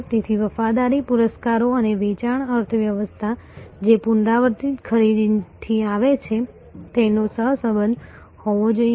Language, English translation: Gujarati, So, loyalty rewards and sales economies, which is coming from repeat buying should have a correlation